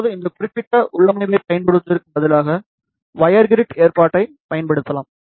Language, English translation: Tamil, Now instead of using this particular configuration, one can use wire grid arrangement